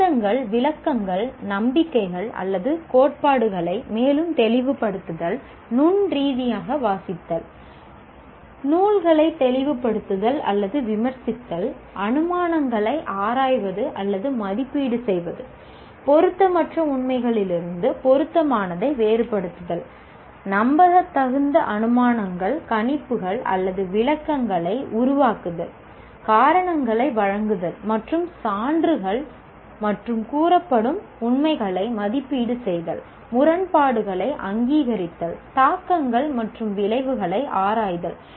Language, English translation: Tamil, Further, clarifying arguments, interpretations, beliefs, or theories, reading critically, clarifying or critiquing text, examining or evaluating assumptions, distinguishing relevant from irrelevant facts, making plausible inferences, predictions or interpretations, giving reasons and evaluating evidence and alleged facts, recognizing contradictions, exploring implications and consequences